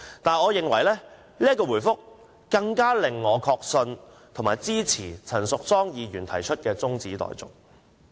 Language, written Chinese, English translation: Cantonese, 主席的回覆令我更確信及支持陳淑莊議員提出的中止待續議案。, The Presidents reply made me all the more support Ms Tanya CHANs adjournment motion